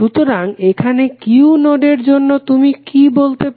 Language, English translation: Bengali, So, here what you can say for node Q